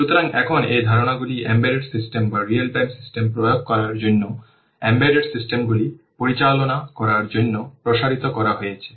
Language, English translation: Bengali, So now these concepts have been extended to handle embedded systems to apply on embedded systems or real time systems